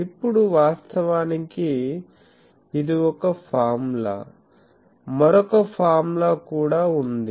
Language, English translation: Telugu, Now, here actually this is one formula, another formula is there which also is used